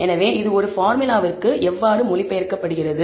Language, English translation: Tamil, So, how is it translated to a formula